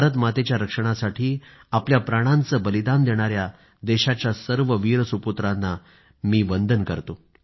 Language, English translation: Marathi, I respectfully bow to all the brave sons of the country, who laid down their lives, protecting the honour of their motherland, India